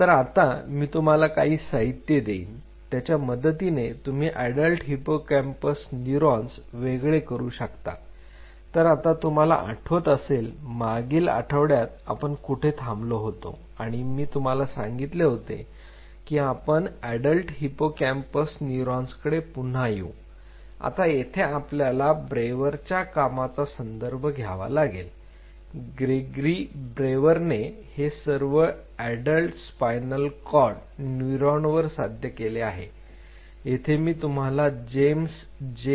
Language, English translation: Marathi, So, these are some of the literatures I will be giving you, you can separate out the adult hippocampal neurons, now you remember where we left last week and I told you I will come back to that adult hippocampal neurons and this is where we will be referring to Brewer’s work Gregory, Brewer’s work this has been achieved for adult spinal cord neurons